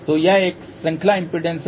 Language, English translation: Hindi, So, this is a series impedance